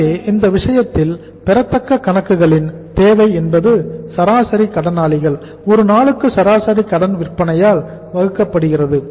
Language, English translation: Tamil, So in this case the accounts receivables here the requirement is average sundry debtors divided by the average credit sales per day